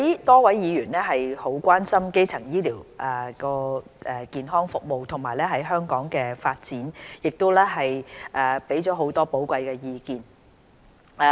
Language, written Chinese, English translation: Cantonese, 多位議員很關心基層醫療健康服務及其在香港的發展，並提出了很多寶貴意見。, Many Members are highly concerned about primary health care services and its development in Hong Kong . They have provided a lot of valuable comments in this regard